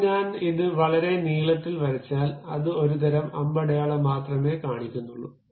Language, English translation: Malayalam, Now, if I draw it very long length, then it shows only one kind of arrow